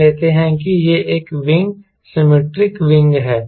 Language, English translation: Hindi, let us say this is a wing, ok, symmetric wing, this is symmetric wing, right